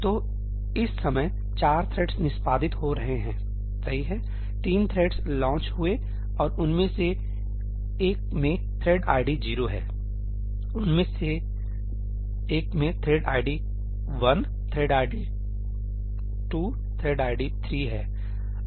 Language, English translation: Hindi, So, at this point of time, four threads are executing three threads got launched, and one of them has thread id 0, one of them has thread id 1, thread id 2, thread id 3